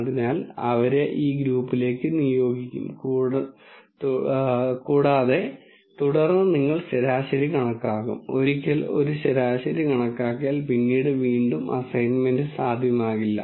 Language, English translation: Malayalam, So, they will be assigned to this group then you will calculate the mean and once a mean is calculated there will never be any reassignment possible afterwards